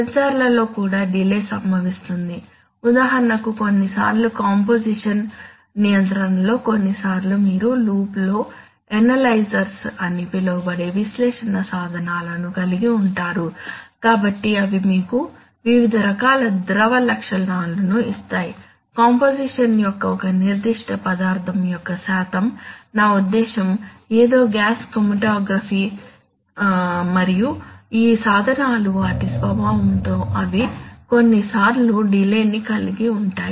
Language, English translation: Telugu, Where delays are caused also in the sensors, for example sometimes you have, you know especially in composition control sometimes you have instruments analysis instruments called analyzers in the loop, so they will give you various properties of liquids, percentage of a particular ingredient of the composition, I mean, something like a gas chromatograph and these instruments by their very nature they sometimes involved delays